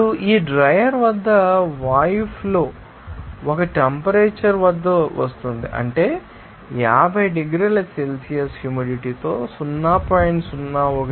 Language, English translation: Telugu, Now the airstream at this dryer is coming at a temperature, what is that 50 degree Celsius at a humidity of 0